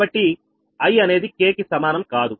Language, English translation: Telugu, so i not is equal to k